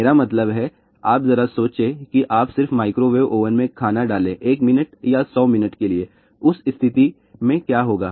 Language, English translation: Hindi, I mean just think about you put the food in a microwave oven for 1 minute or 100 minute , what will be that case